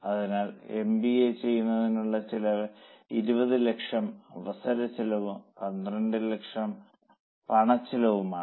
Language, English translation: Malayalam, So cost of doing MBA is opportunity cost of 20 lakhs plus cash cost of 12 lakhs